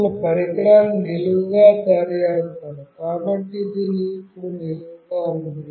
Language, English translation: Telugu, Now, I will make this device vertically up, so it is vertically up now